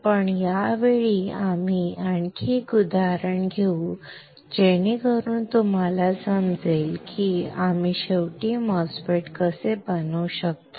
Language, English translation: Marathi, But this time we will take an another example so that you guys understand how we can fabricate finally a MOSFET